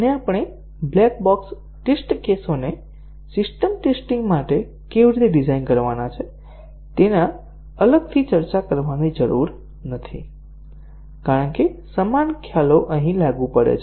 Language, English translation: Gujarati, And, we do not have to really discuss separately how the black box test cases are to be designed for system testing because the same concepts are applicable here